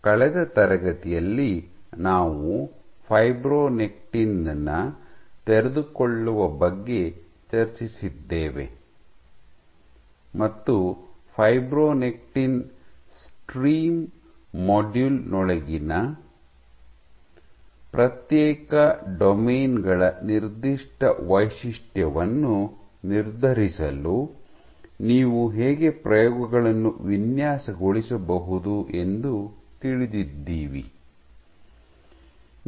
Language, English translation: Kannada, So, in the last class we had discussed about unfolding of fibronectin and how you can go about designing experiments to determine the unfolding signature of individual domains within fibronectin stream module